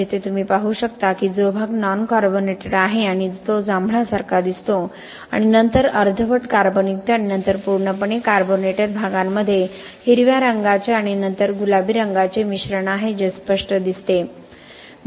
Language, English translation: Marathi, Here you could see that the portion which is non carbonated and seem to deep violet and then the portions which are partially carbonated and then fully carbonated has a mixture of green color and then pink color which is evident